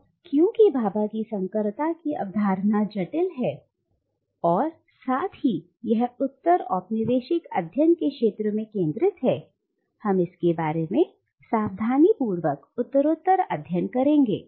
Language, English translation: Hindi, Now since Bhabha’s concept of hybridity is complex and at the same time it is central to the field of postcolonial studies, let us go through it carefully step by step